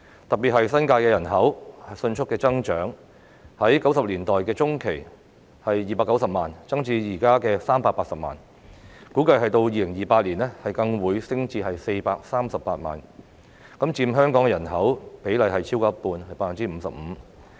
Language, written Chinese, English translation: Cantonese, 特別是新界的人口迅速增長，由1990年代中期的290萬增至現時的380萬，估計到2028年更會升至438萬，佔香港的人口比例超過一半。, In particular population in the New Territories has seen rapid growth from 2.9 million in the mid - 1990 to 3.8 million at present . It is estimated the population will further rise to 4.38 million in 2028 accounting for over half ie . 55 % of the population of Hong Kong